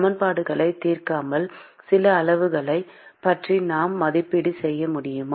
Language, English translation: Tamil, Can I make some estimate about certain quantities without solving the equations